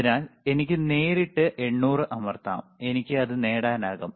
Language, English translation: Malayalam, So, 800 millihertz, I can directly press 800 and I can get it